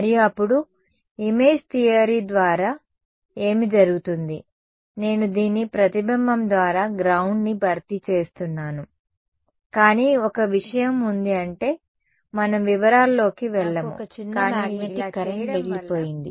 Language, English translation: Telugu, And, then what happens by image theory is, I replace the ground by the reflection of this, but there is one thing I mean we will not go into the detail, but as a result of doing this, I am left with a small magnetic current over here ok